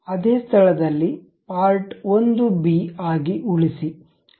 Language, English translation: Kannada, Save as part1b at the same location